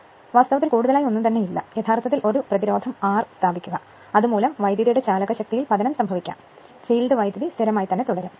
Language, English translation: Malayalam, So, nothing is there actually, you put a resistance R capital R and this because of that there will be voltage drop and field current remain constant